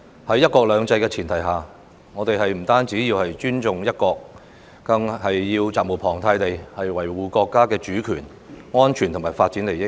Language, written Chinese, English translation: Cantonese, 在"一國兩制"的前提下，我們不單要尊重"一國"，更要責無旁貸地維護國家主權、安全和發展利益。, On the premise of one country two systems we should not only respect one country we are also duty - bound to protect Chinas sovereignty safety and development interests